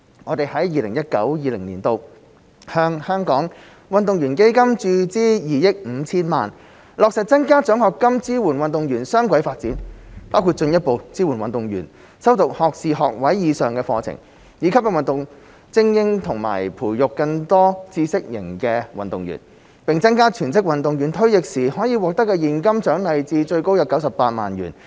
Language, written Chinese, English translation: Cantonese, 我們在 2019-2020 年度向香港運動員基金注資2億 5,000 萬元，落實增加獎學金支援運動員雙軌發展，包括進一步支援運動員修讀學士學位以上的課程，以吸引運動精英和培育更多知識型運動員，並增加全職運動員退役時可獲得的現金獎勵至最高約98萬元。, We have injected 250 million into the Hong Kong Athletes Fund HKAF in 2019 - 2020 to increase scholarship awards in support of the dual career development of athletes including stepping up support for athletes to study bachelors degrees or above to attract more sports talents and nurture more knowledge - based athletes and increase the cash incentives for full - time athletes when they retire to a maximum amount of around 980,000